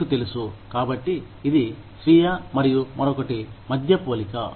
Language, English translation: Telugu, You know, so it is a comparison, between self and the other